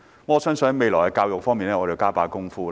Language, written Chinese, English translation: Cantonese, 我相信我們未來要在教育方面多下工夫。, I believe we will have to put greater efforts into education in the future